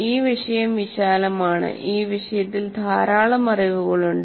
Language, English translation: Malayalam, The subject is vast and there is a lot of literature on that